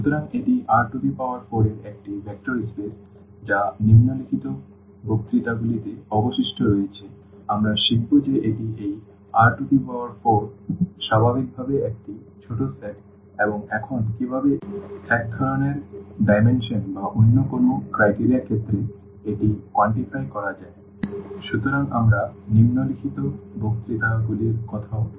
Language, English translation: Bengali, So, this is a vector space of R 4 what is left within in the following lectures we will learn that this is a smaller set naturally of this R 4 and now how to how to quantify this in terms of what in terms of kind of dimension or some other criteria; so, that we will be also talking about in following lectures